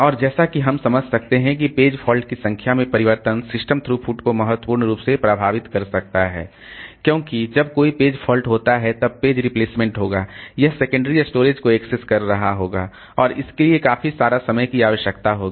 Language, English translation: Hindi, And as you can understand that change in the number of page fault can affect system throughput significantly because as when a page fault occurs then there will be page replacement, it will be accessing the secondary storage and all